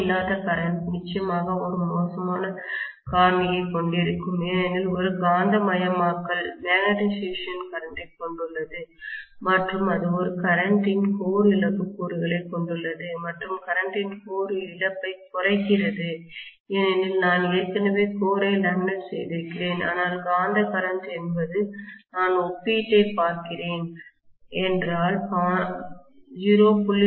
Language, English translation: Tamil, No load current definitely will have a very, very poor factor because it consists of a magnetising current and it consists of a core loss component of current and core loss of component of current is minimised because I have already laminated the core, but the magnetising current is if I look at the comparison if I have 0